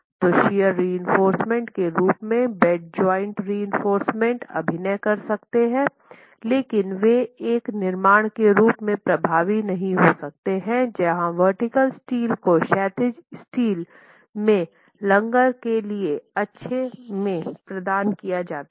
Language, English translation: Hindi, So, you can have bed joint reinforcement acting as shear reinforcement but they cannot be as effective as a construction where vertical steel is provided to account for good anchorage of the horizontal steel itself